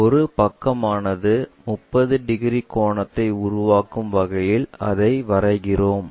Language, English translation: Tamil, We draw it in such a way that one of the sides makes 30 degrees angle